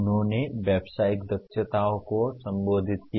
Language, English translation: Hindi, They addressed the Professional Competencies